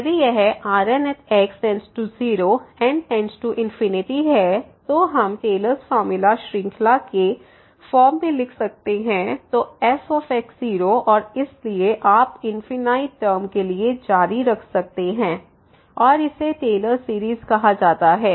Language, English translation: Hindi, If this reminder goes to 0 as goes to infinity then we can write down that Taylor’s formula in the form of the series so and so on you can continue for infinite term and this is called the Taylor series